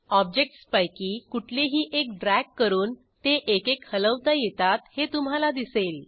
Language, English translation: Marathi, Drag any of the objects, and you will see that they can be moved individually